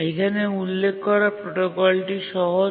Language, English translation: Bengali, That's the simple protocol